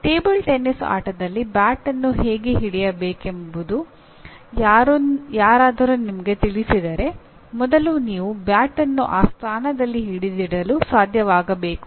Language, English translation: Kannada, If somebody shows let us say how to hold a bat in a table tennis or a tennis game so first you should be able to hold the bat in that position